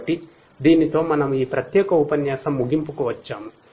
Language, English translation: Telugu, So, with this we come to an end of this particular lecture